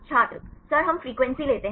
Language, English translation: Hindi, Sir we take the frequency